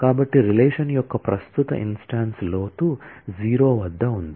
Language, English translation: Telugu, So, the present instance of the relation is at depth 0